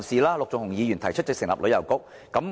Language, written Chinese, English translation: Cantonese, 陸頌雄議員提出成立旅遊局。, Mr LUK Chung - hung proposes establishing a Tourism Bureau